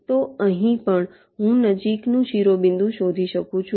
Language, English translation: Gujarati, so here also, i can find out the nearest vertex